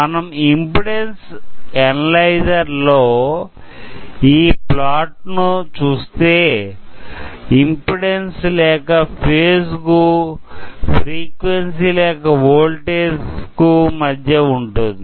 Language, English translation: Telugu, Now, here you can see the plot in, and impedance analyzer is frequency or phase versus either free, impedance or phase versus frequency or the voltage